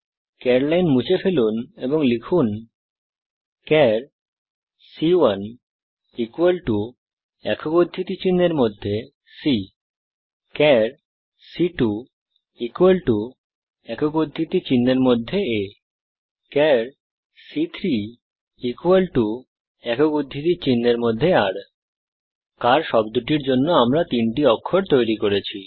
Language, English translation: Bengali, Remove the char line and type , char c1 equal to in single quotes c char c2 equal to in single quotes a char c3 equal to in single quotes r We have created three characters to make the word car